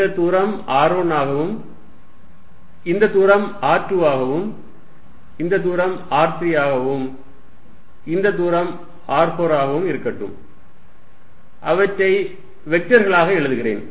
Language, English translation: Tamil, Let this distance be r4, and let me write them as vectors